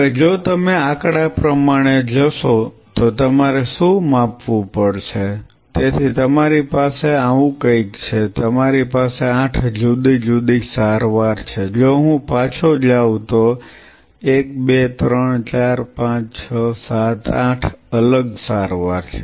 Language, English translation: Gujarati, Now what you how you have to quantify if you go by the statistics, so you have something like this, you have 8 different treatment with you right if I go back 1, 2, 3, 4, 5, 6, 7, 8, a different treatment